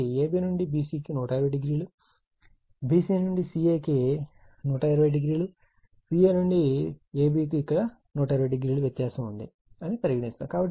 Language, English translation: Telugu, So, ab to bc if it is 120 degree then vc to ca it is 120 degree and ca to ab it is 120 here what we call 120 degree right